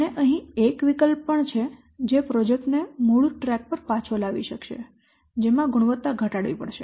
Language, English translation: Gujarati, And one option is also there to get back the project onto the original track that is reducing the quality